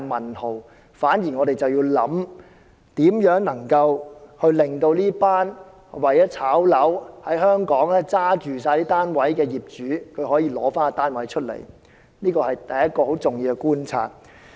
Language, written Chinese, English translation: Cantonese, 我們反而要思考，如何令這群為了在香港"炒樓"而手持大量單位的業主出售單位，這是第一個很重要的觀察。, Indeed there are owners holding a large number of flats in Hong Kong for speculation and we should think about ways to prompt them to sell these flats . This is the first observation of great importance